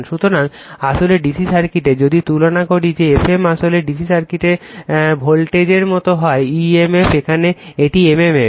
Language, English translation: Bengali, So, actually in the DC circuit, if you compare that F m actually like your what you call the voltage in DC circuit emf right, here it is m m f